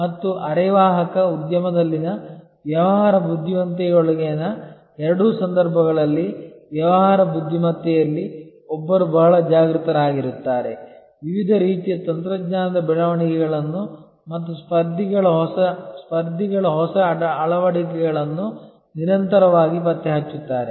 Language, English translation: Kannada, And in either case within the business intelligences in a semiconductor industry, In business intelligence, one would be very conscious, constantly tracking the various kinds of technology developments and new adoptions by competitors